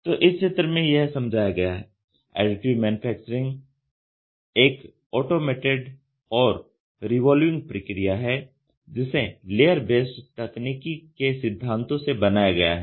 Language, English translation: Hindi, So, Additive Manufacturing is an automated and revolving process developed from the principle of layer based technology